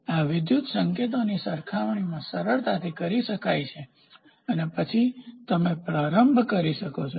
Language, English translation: Gujarati, So, that these electrical signals can be compared easily and then you can start doing